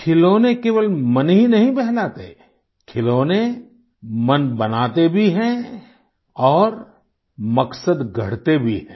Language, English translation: Hindi, Toys, not only entertain, they also build the mind and foster an intent too